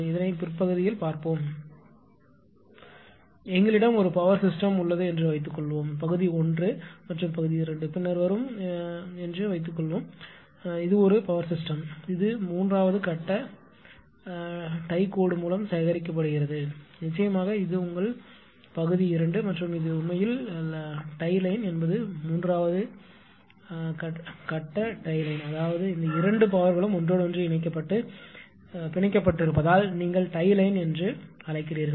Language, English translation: Tamil, Suppose, we have one power system here what is area 1 and area 2, later will comes suppose, this is one power system it is collected by the 3 phase tie line of course, this is your area 2 right and this is your this is actually tie line this is 3 phase line actually tie line means these two powers are interconnected and tied together that is why you call tie line